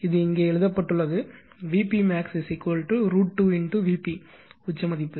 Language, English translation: Tamil, It is written here V p max is equal to root 2 V p peak value right